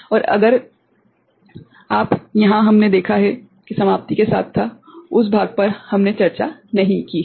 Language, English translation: Hindi, And if you, here we have seen that the termination was with that part we have not discussed